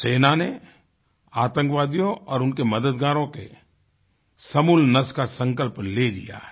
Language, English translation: Hindi, The Army has resolved to wipe out terrorists and their harbourers